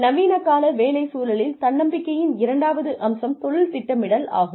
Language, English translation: Tamil, The second aspect of self reliance, in the modern day work environment is, career planning